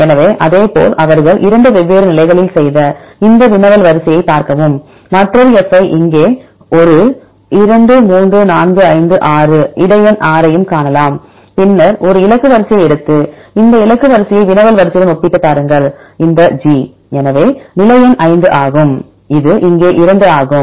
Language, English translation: Tamil, So, likewise see this query sequence they have made in 2 different positions right and we can see another F here one 2 3 4 5 6 the position number 6 also, then take a target sequence then compare this target sequence with the query sequence if you take this G